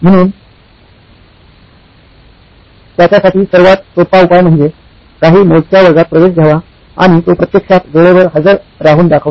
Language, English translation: Marathi, So the simplest solution for him is to enrol for very few classes and he would actually show up on time